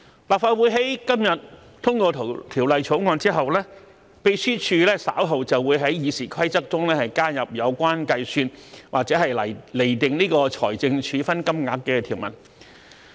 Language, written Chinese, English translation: Cantonese, 立法會在今天通過《條例草案》後，秘書處稍後便會在《議事規則》中加入有關計算或釐定財政處分金額的條文。, Following the passage of the Bill by the Legislative Council today the Secretariat will add to RoP in due course the provisions on the calculation or determination of the amounts of the financial penalties